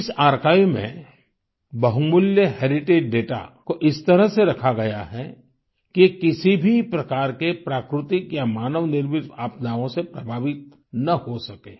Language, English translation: Hindi, Invaluable heritage data has been stored in this archive in such a manner that no natural or man made disaster can affect it